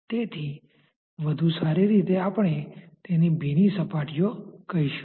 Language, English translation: Gujarati, So, better we say that those are wetting surfaces